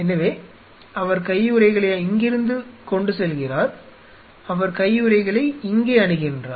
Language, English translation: Tamil, So, he carries the gloves from here and he put on the gloves here